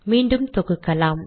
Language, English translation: Tamil, Let me compile